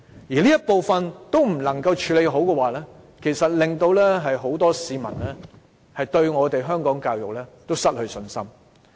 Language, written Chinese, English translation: Cantonese, 如果局方連這部分問題也處理不好，很多市民會對香港教育失去信心。, If the Bureau cannot even tackle this part of the cause the public will lose confidence in the education in Hong Kong